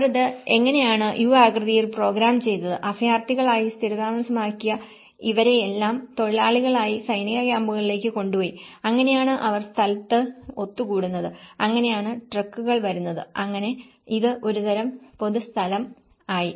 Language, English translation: Malayalam, And how they programmed it in a U shape was because all these people who were settled as refugees they were taken as labourers to the army camps and that is how they used to gather in place and then that is how the trucks come and this becomes a kind of public place as well